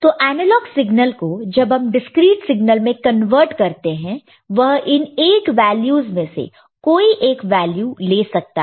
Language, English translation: Hindi, So, the analog signal when converted to discreet signal, it can take one of these 8 values only – ok